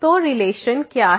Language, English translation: Hindi, So, what is the relation